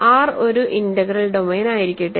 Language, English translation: Malayalam, So, let R be an integral domain